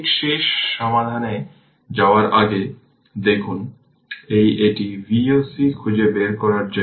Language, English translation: Bengali, Look ah ah just before going to that solution, so this is we have to find out Voc